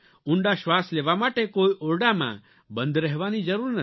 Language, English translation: Gujarati, And for deep breathing you do not need to confine yourself to your room